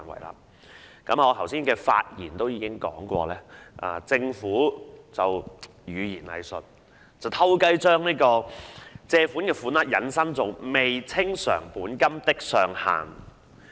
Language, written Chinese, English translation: Cantonese, 我剛才的發言已指出，政府運用語言"偽術"，暗地把借入款額引申為"未清償本金的上限"。, As pointed out in my speech earlier the Government has made use of equivocation secretly expressing the sums borrowed as the maximum amount that may be outstanding by way of principal